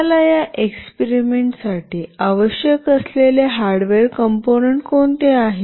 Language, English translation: Marathi, What are the hardware components that we require for this experiment